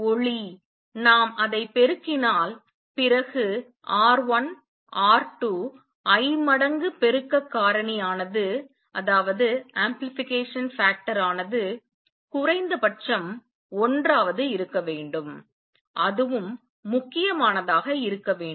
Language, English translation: Tamil, If the light is to we amplify it then R 1, R 2, I times the amplification factor must be at least one that is the critical